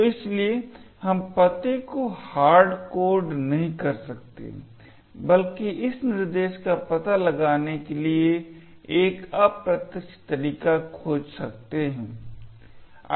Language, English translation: Hindi, So, therefore we cannot hardcode the address but rather find an indirect way to actually get the address of this instruction